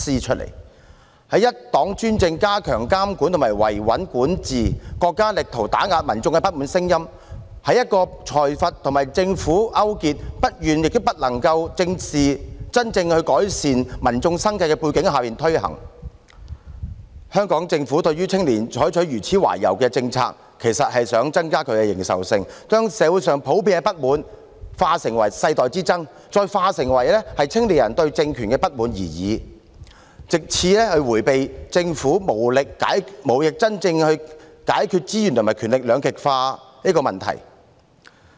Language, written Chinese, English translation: Cantonese, 在一黨專政、加強監管和維穩管治，國家力圖打壓民眾的不滿聲音；在一個財閥和政府勾結，不願也不能真正改善民眾生計的背景下推行，香港政府對青年採取如此懷柔的政策，其實是想增加其認受性，將社會上普遍的不滿淡化成世代之爭，再淡化成只是青年人對政權的不滿而已，藉此迴避政府無力真正解決資源和權力兩極化的問題。, Against a background of one - party dictatorship stepped - up surveillance and control and governance designed to maintain stability with the State endeavouring to suppress the voices of discontent of the public; implemented against a background of collusion between plutocrats and the Government who are unwilling and unable to truly improve public livelihood the Government in adopting such a conciliatory policy actually seeks to enhance its public acceptance play down the widespread discontent in society as a conflict between generations and further play it down as merely the discontent of young people with the regime so as to evade the problem of the Government not being able to truly resolve the polarization of resources and power